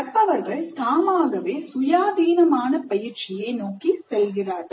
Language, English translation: Tamil, So the learners would move more towards independent practice